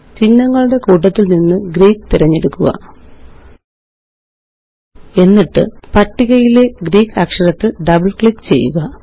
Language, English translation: Malayalam, Under the Symbol set, select Greek and double click on a Greek letter from the list